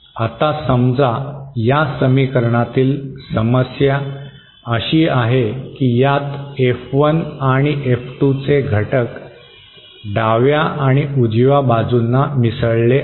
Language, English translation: Marathi, Now suppose, the problem with this equation is this has elements of F1 and F2 are mixed on the LHS and RHS